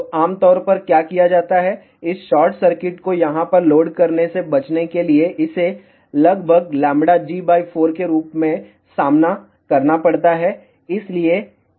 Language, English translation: Hindi, So, generally what is done, to avoid the loading of this short circuit over here, take this facing as approximately lambda g by 4